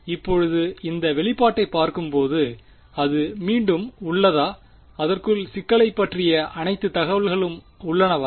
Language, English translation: Tamil, Now looking at this expression does it have again does it have all the information about the problem inside it